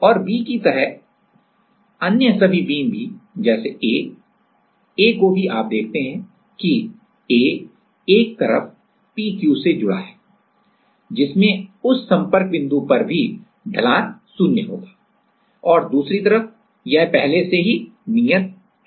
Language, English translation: Hindi, A also you see that; A is one side it is connected to p q which also will have a slope zero at that contact point and the other side it is already fixed